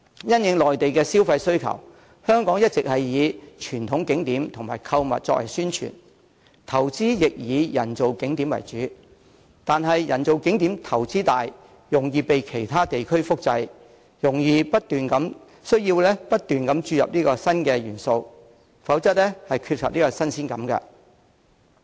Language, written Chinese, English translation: Cantonese, 因應內地旅客的消費需求，香港一直以傳統景點及購物作為宣傳，所作投資亦以人造景點為主，但人造景點投資大、容易被其他地區複製，需要不斷注入新元素，否則會缺乏新鮮感。, Given the consumer demand of Mainland visitors Hong Kong has been focusing its publicity efforts on traditional tourist attractions and shopping destinations and investing mainly in man - made attractions . However as man - made attractions require huge investments and a duplicate can easily be found elsewhere continuous efforts have to be made to inject new elements into the attractions lest they will lose their attractiveness